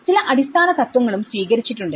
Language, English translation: Malayalam, They have also adopted some basic principles